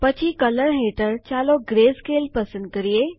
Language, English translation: Gujarati, Then under Color, lets select Grayscale